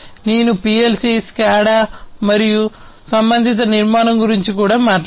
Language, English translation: Telugu, I have also talked about PLC, SCADA and the corresponding architecture